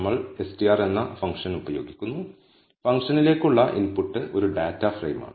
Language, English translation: Malayalam, We use the function str and the input to the function is a dataframe